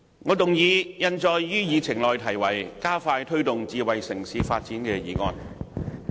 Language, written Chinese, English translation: Cantonese, 我動議印載於議程內題為"加快推動智慧城市發展"的議案。, I move the motion entitled Expediting the promotion of smart city development as printed on the Agenda